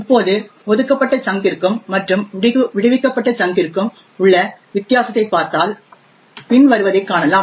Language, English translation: Tamil, Now if we look at the difference between the allocated chunk and the freed chunk we see the following